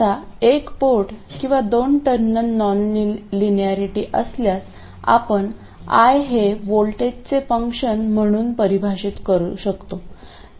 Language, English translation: Marathi, Now, in case of a single port or a two terminal non linearity, we could define I as a function of voltage